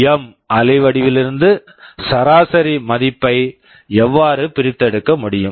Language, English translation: Tamil, Now, from this PWM waveform, how can we extract the average value